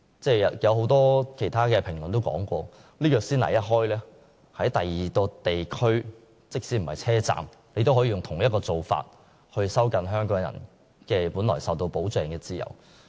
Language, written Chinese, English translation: Cantonese, 很多評論也指出，先例一開，在車站以外的其他地區也可實施相同做法，藉以收緊香港人本來受到保障的自由。, This is really a very bad precedent . Many commentaries have pointed out once a precedent is set the same arrangement may then be extended to places outside the West Kowloon Station as a means of curtailing Hong Kong peoples freedoms which are otherwise protected by the Basic Law